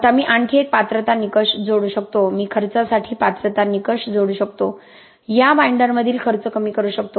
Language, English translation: Marathi, Now I can add one more qualification criteria, I can add a qualification criteria for cost, minimize the cost among these binders